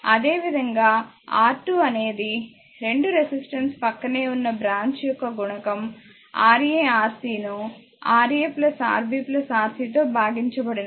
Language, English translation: Telugu, Similarly, R 2 is equal to product of the 2 resistor adjacent branch that is Ra Rc divided by Rb Ra plus Rb plus Rc